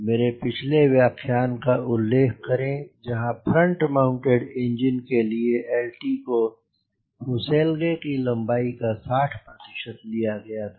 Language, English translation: Hindi, my last lecture says for front mounted engine, l, lt you can take as sixty percent of fuselage length